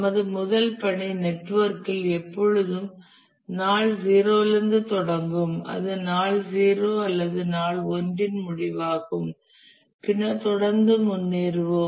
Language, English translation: Tamil, In our task network, the first task will always be starting at day 0, that is end of day 0 or day 1, and then we will work forward following the chain